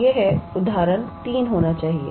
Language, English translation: Hindi, So, this must be example 3